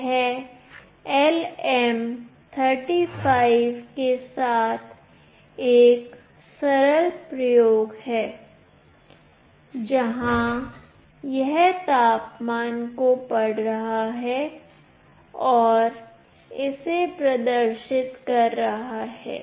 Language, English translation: Hindi, This is a simple experiment with LM35, where it is reading the temperature and is displaying it